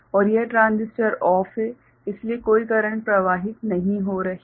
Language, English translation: Hindi, And this transistor is OFF so, no current is flowing